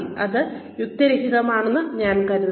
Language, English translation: Malayalam, That, I think would be unreasonable